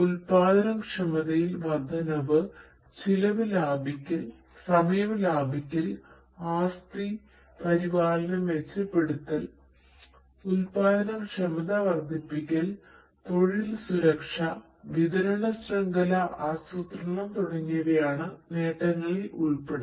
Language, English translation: Malayalam, Benefits include increase in production efficiency, saving on costs, saving on the time, improving asset maintenance, enhancing product productivity, work safety, supply chain planning and so on